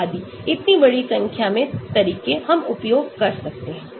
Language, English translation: Hindi, so large number of methods we can use